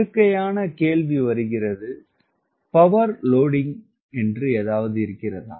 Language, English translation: Tamil, natural question comes: is there something called power loading